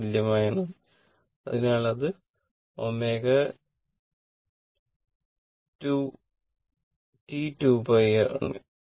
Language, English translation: Malayalam, So, that is omega into T 2 pi